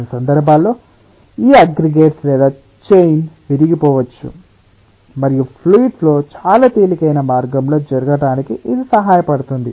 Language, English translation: Telugu, in certain cases these aggregates or chains may be broken and it may help ah the fluid flow to take place ah in a much easier way